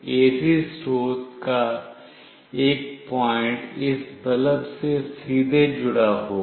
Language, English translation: Hindi, One point of the AC source will be directly connected to this bulb